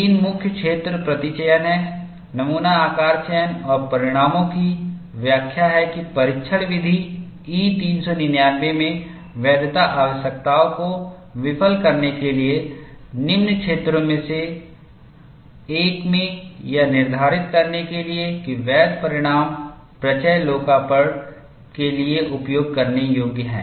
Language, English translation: Hindi, The three main areas are specimen sampling, specimen size selection and interpretation of results that fail the validity requirements in test method E 399 in one of the following areas, in order to determine if the valid results are usable for lot release